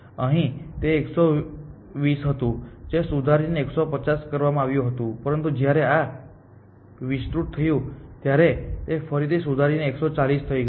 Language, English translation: Gujarati, Here it was 120 it got revised to 150, but when this expanded this it got again revised to 140 essentially